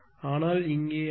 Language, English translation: Tamil, But here it is 7397